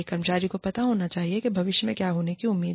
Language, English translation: Hindi, Employee should know, what is expected, in future